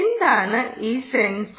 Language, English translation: Malayalam, ok, what is this sensor